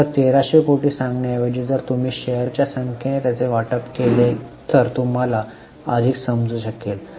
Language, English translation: Marathi, So, instead of telling 1,300 crores, if you divide it by number of shares, you will get a more understandable figure